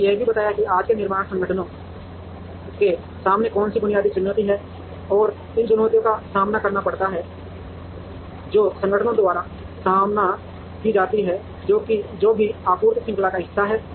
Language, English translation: Hindi, We also described what was the basic challenge that today’s manufacturing organizations face, and challenges that are there faced by organizations, which are part of any supply chain